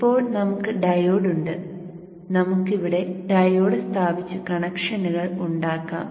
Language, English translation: Malayalam, Okay, so now we have the diode and let us place the diode here and make the connections